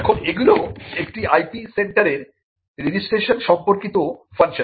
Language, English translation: Bengali, Now, these are the registration related functions of an IP centre